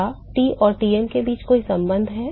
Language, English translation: Hindi, Is there any relationship between T and Tm